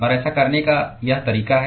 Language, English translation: Hindi, And this is the way to do that